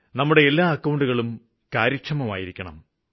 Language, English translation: Malayalam, All of our accounts should be kept active